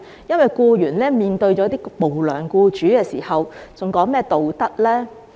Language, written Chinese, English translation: Cantonese, 當僱員面對無良僱主時，還談何道德呢？, When employees are faced with unscrupulous employers are there any morals to speak of?